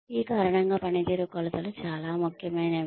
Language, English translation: Telugu, Because of this, performance dimensions are very important